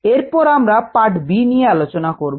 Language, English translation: Bengali, now let us consider part b